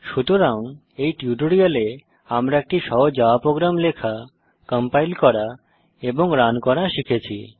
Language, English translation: Bengali, So in this tutorial, we have learnt to write, compile and run a simple java program